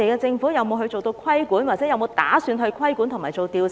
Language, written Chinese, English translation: Cantonese, 政府有沒有打算規管和進行調查？, Does the Government have plans in place to impose regulation and conduct investigation?